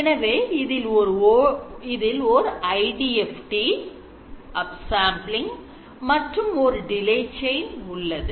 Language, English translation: Tamil, So, there is an IDFD followed by up sampling followed by a delete chain